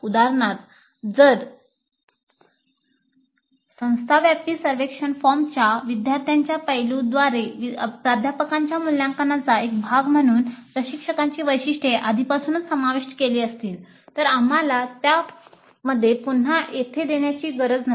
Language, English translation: Marathi, For example, if instructor characteristics are already covered as a part of the faculty evaluation by students aspect of the institute wide survey form, then we don't have to repeat them here